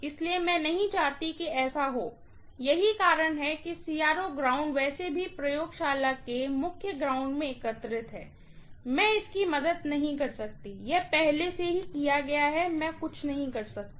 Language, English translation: Hindi, So, I do not want that to happen, that is the reason why the CRO ground is anyways collected to the main ground of the laboratory, I can’t help it, that is done already, I can’t do anything